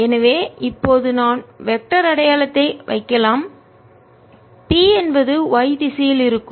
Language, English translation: Tamil, ok, so now i can put the vector sign p is going to be in the y direction